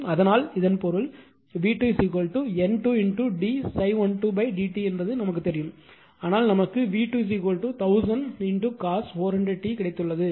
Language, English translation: Tamil, So; that means, also V 2, you know is equal to N 2 d phi 1 2 upon d t that we know, but we have got it V 2 is equal to 1000 cos 400 over t right